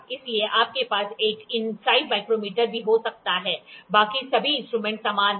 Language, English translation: Hindi, So, you can also have inside micrometer, rest all equipment follows the same